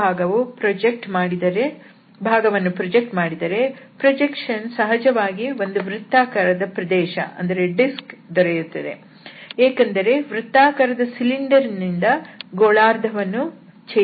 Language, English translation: Kannada, So, if we project that portion, naturally that projection will be the disk only because that circular cylinder was used to cut this hemisphere